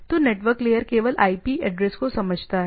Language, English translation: Hindi, So, network layer understands only the IP address